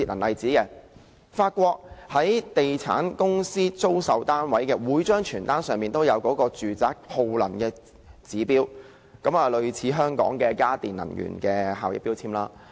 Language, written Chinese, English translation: Cantonese, 例如在法國，地產公司租售單位時，每張傳單都載有住宅的耗能指標，類似香港的家電能源標籤。, For example in France real estate agencies will provide energy - efficiency indicators of properties for lease or sale in each pamphlet